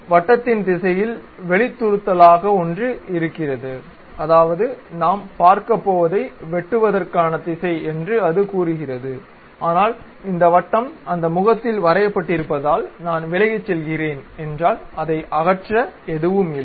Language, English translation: Tamil, It says that in the circle direction there is something like protrusion happen, that is, the direction of cut what we are going to really look at, but because this circle is drawn on that face if I am going away from that there is nothing to remove